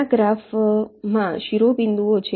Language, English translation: Gujarati, these are the vertices in the graph